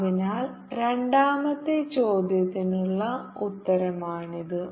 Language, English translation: Malayalam, so this the answer for the second question answer